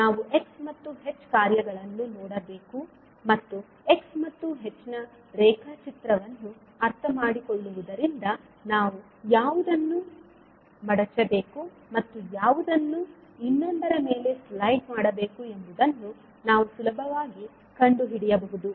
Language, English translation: Kannada, So we have to look at the functions x and h and we can with the help of just understanding the sketch of x and h, we can easily find out which one we have to fold and slide over the other one